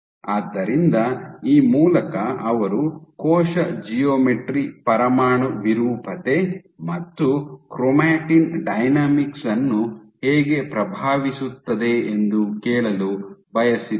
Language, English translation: Kannada, So, through this they wanted to ask that how does cell geometry influence nuclear deformability and chromatin dynamics